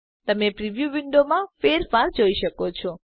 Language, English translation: Gujarati, You can see the change in the preview window